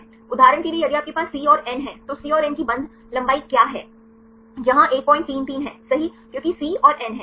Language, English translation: Hindi, For example, if you have a C and N what is the bond length for the C and N where is 1